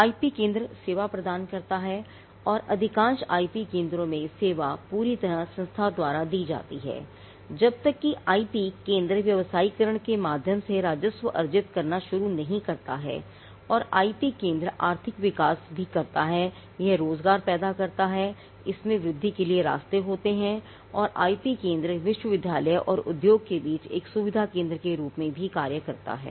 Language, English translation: Hindi, Now, the IP centre does service and in most IP centres the service is fully subsidized by the institution till the IP centre starts earning revenue through commercialization and the IP centre also does economic development it creates jobs, it has avenues for growth and the IP centre also act as a facilitation centre between the university and the industry